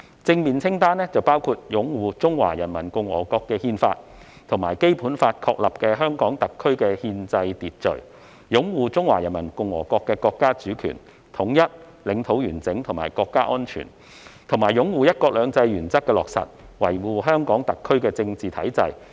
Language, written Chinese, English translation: Cantonese, 正面清單包括"擁護《中華人民共和國憲法》及《基本法》確立的香港特別行政區的憲制秩序"；"擁護中華人民共和國國家主權、統一、領土完整和國家安全"，以及"擁護'一國兩制'原則的落實，維護香港特別行政區的政治體制"。, The positive list includes among others upholds the constitutional order of the Hong Kong Special Administrative Region established by the Constitution of the Peoples Republic of China and the Basic Law upholds the national sovereignty unity territorial integrity and national security of the Peoples Republic of China upholds the implementation of one country two systems principle and safeguards the political structure of the Hong Kong Special Administrative Region . These acts will be considered as upholding the Basic Law and bearing allegiance to HKSAR